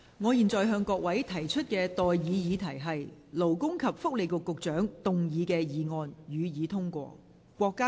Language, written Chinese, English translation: Cantonese, 我現在向各位提出的待議議題是：勞工及福利局局長動議的議案，予以通過。, I now propose the question to you and that is That the motion moved by the Secretary for Labour and Welfare be passed